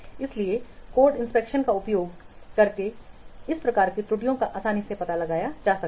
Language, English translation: Hindi, So those types of errors also can be detected by code inspection